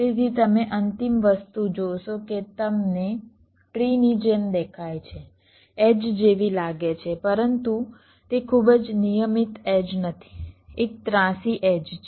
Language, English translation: Gujarati, so you see the final thing that you get looks like a tree, looks like an edge, but it is not a very regular edge, a skewed edge